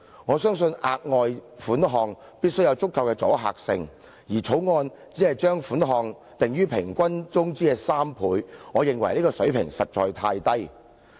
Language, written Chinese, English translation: Cantonese, 我相信額外款項必須有足夠的阻嚇性，而《條例草案》只是將款項訂於僱員平均工資的3倍，我認為這個水平實在太低。, I believe the amount of the further sum should have a deterrent effect but the Bill only provides that the sum shall be three times the employees average monthly wages . I think such a level is too low